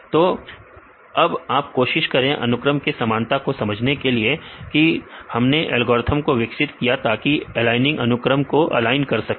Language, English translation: Hindi, So, you try to understand this sequence similarity we develop algorithms for the align aligning sequences